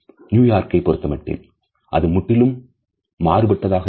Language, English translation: Tamil, In New York, it is quite a different story